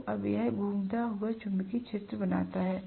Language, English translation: Hindi, So, now this creates the revolving magnetic field